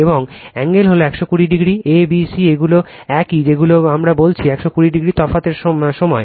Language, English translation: Bengali, And angle is 120 degree apart right a, b, c these are your what we call 120 degree apart